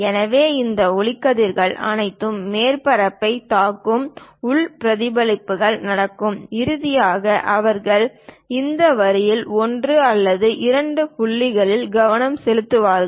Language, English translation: Tamil, So, all these light rays come hit the surface; internal reflections happens; finally, they will be focused at one or two points on this line